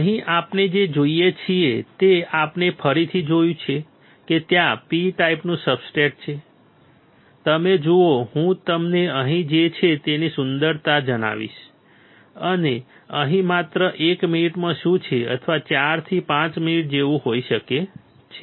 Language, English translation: Gujarati, Here what we see we again see that there is a P type substrate, you see I will tell you the beauty of what is here and what is here in just one minute or may be like 4 to 5 minutes